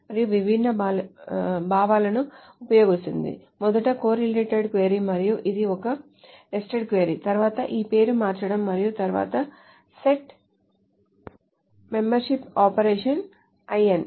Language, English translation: Telugu, First is the correlated query and of course which is a nested query, then this renaming and then also this set membership operation in